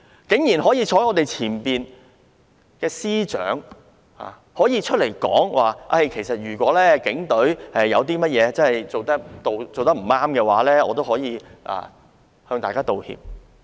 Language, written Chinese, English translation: Cantonese, 身處我們前方的司長早前公開說道，如果警隊的處理有任何未如理想之處，他可以代為道歉。, The Chief Secretary in front of us earlier stated publicly that if there was anything unsatisfactory in the Polices handling of the situation he could apologize on behalf of them